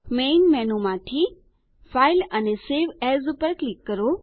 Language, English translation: Gujarati, From the Main menu, click File and Save As